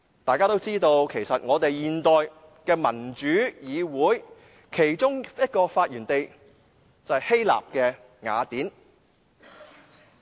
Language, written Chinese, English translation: Cantonese, 大家也知道，其實現代民主議會的其中一個發源地，就是希臘雅典。, It is common knowledge that one of the birthplaces of modern democracy is Athens Greece